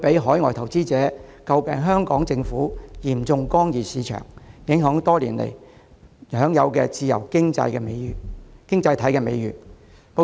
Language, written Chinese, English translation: Cantonese, 海外投資者則會指摘香港政府嚴重干預市場，令香港多年來享有的自由經濟體美譽受影響。, Foreign investors meanwhile would accuse the Hong Kong Government of blatant intervention in the market which would affect the long - standing reputation of Hong Kong as a free economy